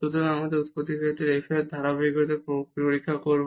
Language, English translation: Bengali, So, now we will check the continuity of f at origin